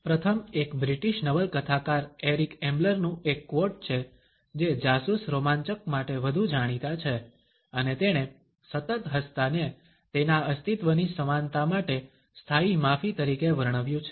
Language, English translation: Gujarati, The first one is a quote from the British Novelist Eric Ambler known more for spy thrillers, and he has described one constant smiling as a standing apology for the in equity of his existence